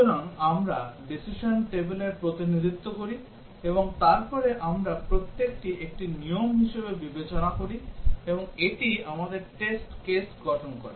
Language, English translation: Bengali, So, we represent the decision table and then we consider each one as a rule and this forms our test case